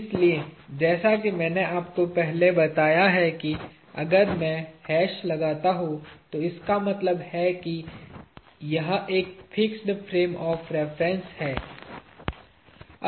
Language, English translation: Hindi, So, as I already told you if I put a hash, it means it is a fixed frame of reference